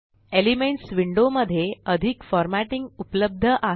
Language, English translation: Marathi, More formatting is available in the Elements window